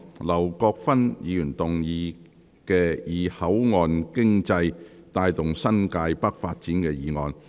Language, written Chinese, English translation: Cantonese, 劉國勳議員動議的"以口岸經濟帶動新界北發展"議案。, Mr LAU Kwok - fan will move a motion on Driving the development of New Territories North with port economy